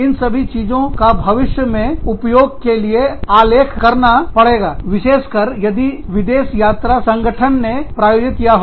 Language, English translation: Hindi, So, all of this has to be documented, for future use, especially if the organization has sponsored, their visit abroad